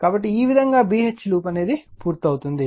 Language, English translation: Telugu, So, this way your B H loop will be completed right